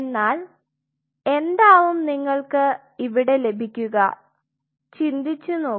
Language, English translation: Malayalam, So, what you are getting here think of it